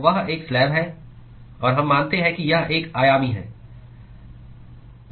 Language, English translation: Hindi, So, that is a slab; and we assume that it is one dimensional